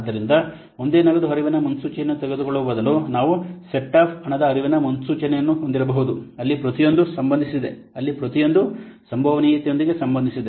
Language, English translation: Kannada, So instead of taking a single cash flow forecast for a project here we will then have a set up cash flow forecast so instead of taking a single cash flow forecast we will may have a set up for cash flow forecast where each is associated where each with an associated probability of occurring so each forecast may have associated with a probability of occurring